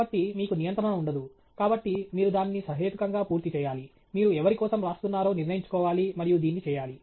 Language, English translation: Telugu, So, you have no control, so you have to keep it reasonably complete, you have to sort of decide for whom you are pitching the paper and do it okay